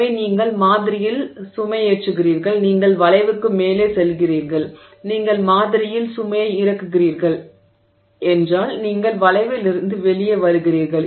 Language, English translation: Tamil, So, you load the sample, you go up the curve, you unload the sample, you come up the curve